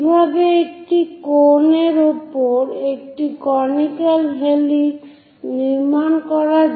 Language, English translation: Bengali, How to construct a conical helix over a cone